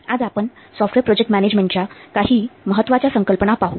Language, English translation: Marathi, Today we will see some important concepts of software project management